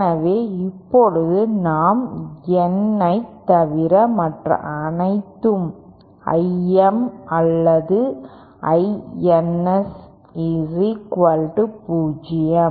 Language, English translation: Tamil, So if we now so all other I M or I Ns equal to 0 except N dash